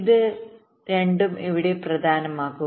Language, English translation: Malayalam, both of this will be important here